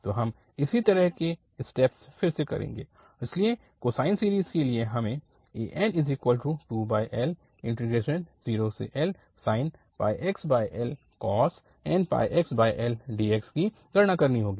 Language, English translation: Hindi, So again, the similar steps, so for the cosine series we have to compute this an which is 2 over L and 0 to L and with the sine pi x and then cosine n pi x over L